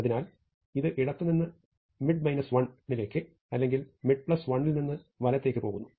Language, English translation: Malayalam, So, this either goes from left to mid minus 1 or mid plus 1 to right